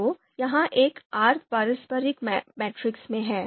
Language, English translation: Hindi, So so this is in a sense reciprocal matrix